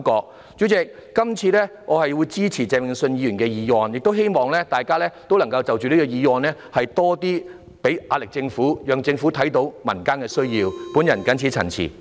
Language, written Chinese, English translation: Cantonese, 代理主席，這次我會支持鄭泳舜議員的原議案，亦希望大家就這個議案向政府施加壓力，讓政府看到民間的需要，我謹此陳辭。, Deputy President this time I will support the original motion of Mr Vincent CHENG and also hope that we will exert pressure on the Government in respect of this motion to let the Government see the needs of the community . I so submit